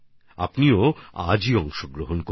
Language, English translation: Bengali, You too participate today itself